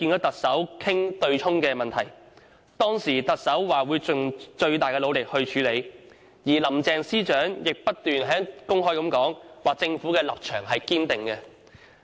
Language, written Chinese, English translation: Cantonese, 特首當時表示，會盡最大努力去處理；而林鄭司長亦公開重申政府的堅定立場。, The Chief Executive said at the time that he would exert his utmost to address the issue whereas Chief Secretary for Administration Carrie LAM reiterated openly the firm position held by the Government